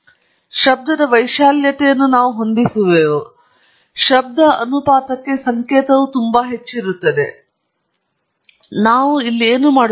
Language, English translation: Kannada, And we adjust the amplitude of the noise such that the signal to noise ratio is fairly high, and that’s what I am doing here